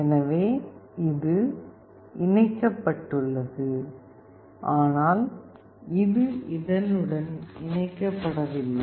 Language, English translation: Tamil, So, this is connected, but this is not connected with this one